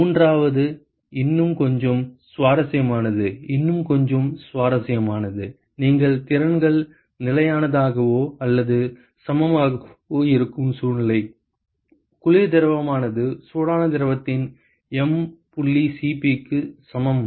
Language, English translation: Tamil, And the third one, a little bit more interesting, a little bit more interesting is a situation where you have the capacities are constant or equal; the cold fluid is equal to m dot C p of a hot fluid